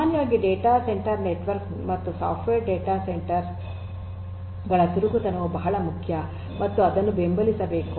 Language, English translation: Kannada, In general data centre network in general and for software data centre as well agility is very important and should be supported